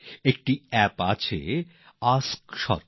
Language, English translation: Bengali, There is an app Ask Sarkar